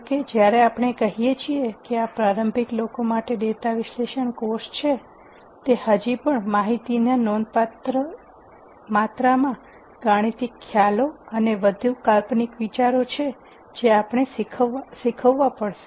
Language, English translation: Gujarati, However, while we say this is a data analysis course for beginners, it would still be a substantial amount of information substantial amount of mathematical concepts and more conceptual ideas that we will have to teach